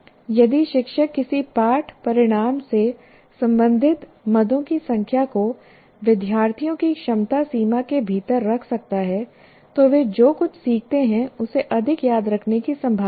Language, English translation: Hindi, So if the teacher can keep the number of items related to a lesson outcome within the capacity limits of students, they are likely to remember more of what they learned